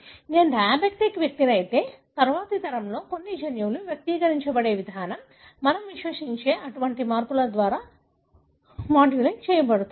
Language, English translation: Telugu, If I am a diabetic person, the way some of the genes are going to be expressed in the next generation is modulated by such kind of modifications we believe